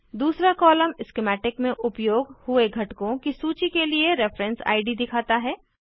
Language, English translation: Hindi, The second column shows reference id for list of components used in schematic